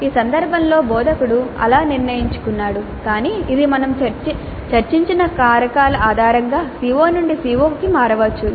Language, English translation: Telugu, In this case the instructor has decided like that but it can vary from CO to CO based on the factors that we discussed